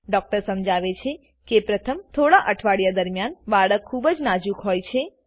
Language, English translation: Gujarati, The doctor explains that during the first few weeks, the baby is very delicate